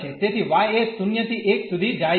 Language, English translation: Gujarati, So, y goes from 0 to 1